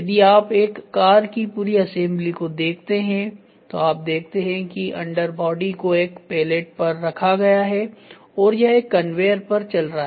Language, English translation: Hindi, If you look at the complete assembly of a car, you see that the under body is kept on a pallet and this is moving in a conveyor